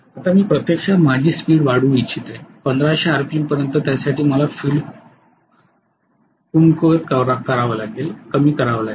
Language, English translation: Marathi, So I want to increase speed to 1500 RPM by field weakening